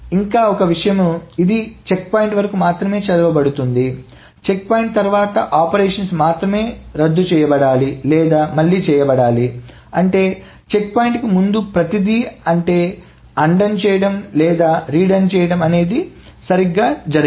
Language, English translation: Telugu, And one more thing, only the operations after the checkpoint, so this is read only up to the checkpoint, so only the operations after the checkpoint needs to be either undone or redone that's it